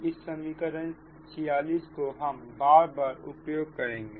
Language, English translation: Hindi, now we will use this equation forty six, we will use this